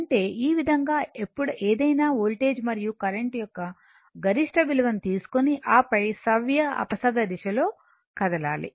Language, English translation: Telugu, That is this that means, this way you take the maximum value of any voltage and current, and then you are moving in the clock anticlockwise direction